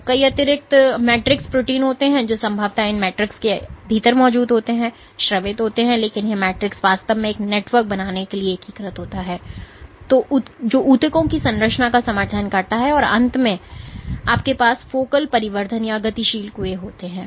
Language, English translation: Hindi, So, there are more than multiple extracellular matrix proteins which are presumably present within this matrix that is secreted, but this matrix is actually integrated to form a network, which supports the tissues structure and finally, you have focal additions or dynamic wells